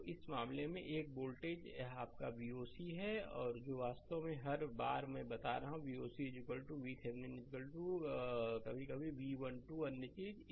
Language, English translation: Hindi, So, in this case this voltage this is your V oc actually every time I am telling, V o c is equal to V Thevenin is equal to sometimes V 1 2 same thing right